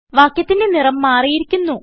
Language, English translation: Malayalam, The color of the text has changed